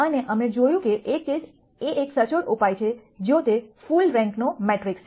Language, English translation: Gujarati, And we saw that one case is an exact solution if it is a full rank matrix